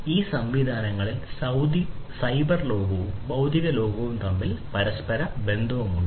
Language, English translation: Malayalam, So, there is interaction between the cyber world and the physical world together in these systems